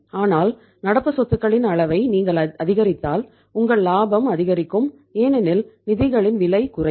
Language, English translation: Tamil, But if you increase the level of current liabilities then your profitability will go up because the cost of the funds will go down